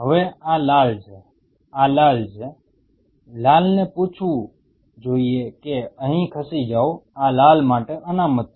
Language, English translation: Gujarati, Now this is red, this red should be asked to this is reserved for the red should move here